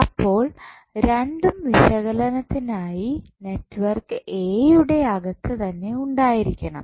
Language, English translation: Malayalam, So, both should be inside the network A for analysis